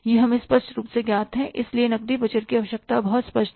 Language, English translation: Hindi, That is clearly known to us and hence the requirement of the cash budget is very clear